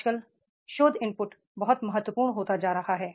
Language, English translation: Hindi, Nowadays the research input is becoming very, very important